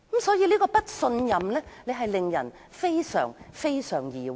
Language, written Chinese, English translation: Cantonese, 所以，這份不信任令人非常疑惑。, Therefore the lack of trust has made people feel uneasy